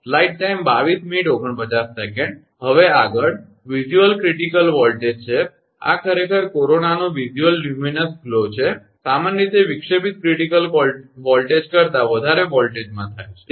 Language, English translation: Gujarati, Next one is visual critical voltage, this is actually this is that visual luminous glow of corona, generally occurs at a voltage higher than the disruptive critical voltage, right